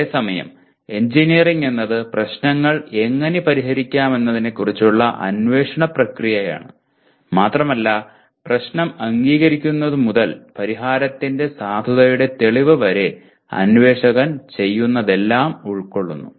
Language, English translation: Malayalam, Whereas engineering is a process of investigation of how to solve problems and includes everything the investigator does from the acceptance of the problem to the proof of the validity of the solution, okay